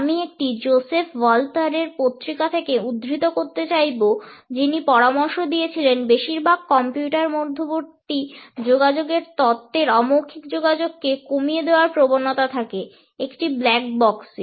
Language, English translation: Bengali, I would like to quote from an article by Joseph Walther, who has suggested that most of the theories on computer mediated communication tend to reduce nonverbal communication to a ‘black box’